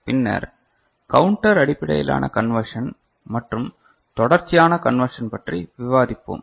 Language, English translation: Tamil, And then we shall discuss counter based conversion and also continuous conversion ok